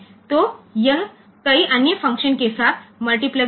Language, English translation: Hindi, So, that is multiplexed with many other functions